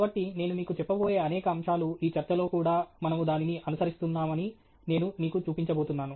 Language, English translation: Telugu, So, many of the aspects that I am going to tell you, I am also going to show you that even in this talk we are following it